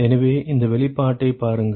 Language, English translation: Tamil, So, look at this expression